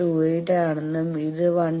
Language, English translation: Malayalam, 28 and this is 1